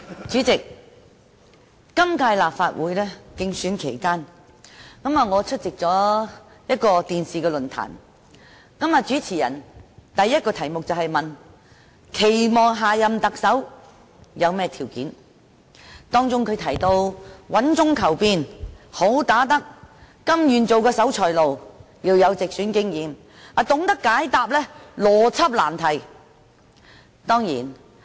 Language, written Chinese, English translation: Cantonese, 主席，在今屆立法會選舉期間，我出席了一個電視論壇。主持人問的第一個題目是我們期望下任特首具備甚麼條件，包括穩中求變、"好打得"、甘願當守財奴、有直選經驗及懂得解答邏輯難題。, President I attended a TV forum during this Legislative Council Election and the first question raised by the host was about our expectations for the qualities of the next Chief Executive such as seeking change while maintaining stability being a good fighter willingness to be a miser having experience of running in direct elections and capable of answering difficult questions about logic